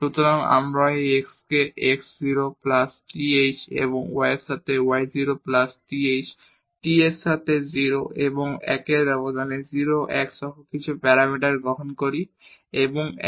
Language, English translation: Bengali, So, we take this x is equal to x 0 plus th and y as y 0 plus th and t is some parameter from this interval 0 and 1, including 0 and 1